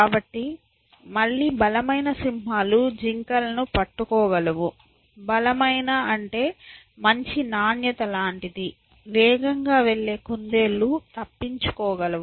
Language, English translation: Telugu, So, again the strongest lions will be able to catch deer, by strongest we mean fastest so, whatever is the good quality, the fastest rabbits will be able to escape